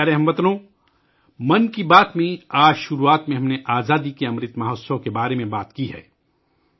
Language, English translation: Urdu, My dear countrymen, in the beginning of 'Mann Ki Baat', today, we referred to the Azadi ka Amrit Mahotsav